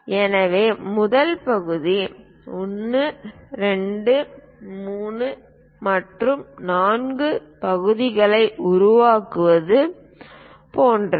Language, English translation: Tamil, So, the first part something like to construct 1, 2, 3 and 4 parts we are going to construct